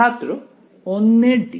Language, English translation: Bengali, d of another